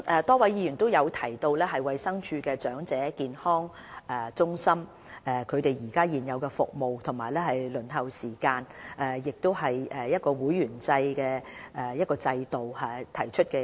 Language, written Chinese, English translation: Cantonese, 多位議員就衞生署的長者健康中心的現有服務、輪候時間和會員制制度提出意見。, A number of Members have expressed views on EHCs including the current service delivery the waiting time and the membership system